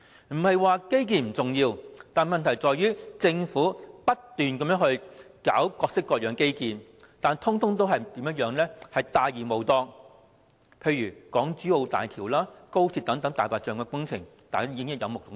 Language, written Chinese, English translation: Cantonese, 不是說基建不重要，問題是政府不斷搞各式各樣的基建，但全部大而無當，例如港珠澳大橋及高鐵等"大白象"工程，大家已經有目共睹。, I am not saying that it is not important to build infrastructures; yet the problem is that the Government keeps on building gigantic but useless infrastructures . The Hong Kong - Zhuhai - Macao Bridge and the Express Rail Link are good examples of white elephant projects